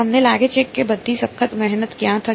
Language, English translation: Gujarati, Where do you think all the hard work will happen